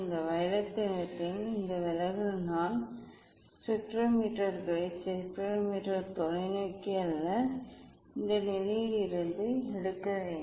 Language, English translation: Tamil, this deviation of this violet colour is more I have to take the spectrometers not spectrometer telescope away from this position